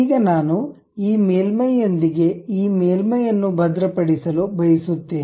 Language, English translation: Kannada, Now, I want to really lock this surface with this surface